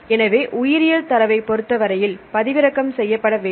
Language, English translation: Tamil, But in the case of the biological data it should be downloadable